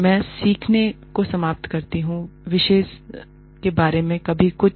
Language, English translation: Hindi, I end up learning, quite a bit, about the subject